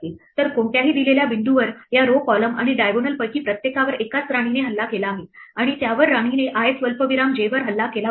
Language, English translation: Marathi, So, at any given point each one of these rows columns and diagonals is attacked by a single queen and it must be attacked by the queen at i comma j